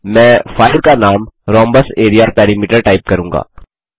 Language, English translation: Hindi, I will type the filename as rhombus area perimeter Click on Save